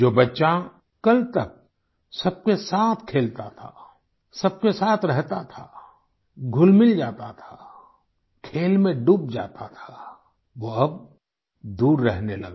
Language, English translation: Hindi, The child who hitherto used to play and mingle with everyone, and remain immersed in the game; the same child started to act aloof